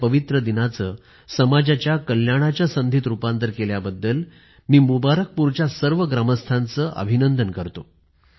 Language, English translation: Marathi, I felicitate the residents of Mubarakpur, for transforming the pious occasion of Ramzan into an opportunity for the welfare of society on